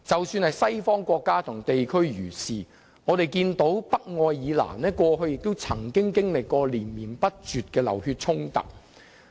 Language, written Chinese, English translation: Cantonese, 西方國家和地區亦然，我們看到北愛爾蘭過去曾經歷連綿不絕的流血衝突。, It was also the case in countries and regions in the West . We could see constant bloody conflicts in Northern Ireland in the past